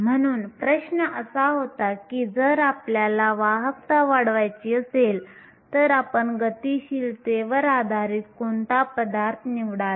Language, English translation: Marathi, So, the question was if you want to increase the conductivity then what materials will you choose based on mobility